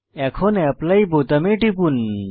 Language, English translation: Bengali, Now let us click on Apply button